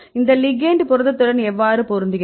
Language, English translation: Tamil, So, if you look at the protein ligand binding